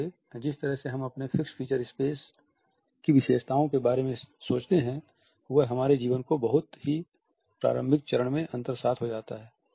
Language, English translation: Hindi, So, the way we perceive the features of our fixed space are internalized at a very early stage in our life